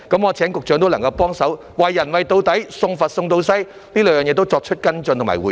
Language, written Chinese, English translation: Cantonese, 我請局長幫忙，"為人為到底，送佛送到西"，對這兩件事也作出跟進和回應。, I would like to ask the Secretary for a helping hand that carries through to the end to follow up on and respond to these two issues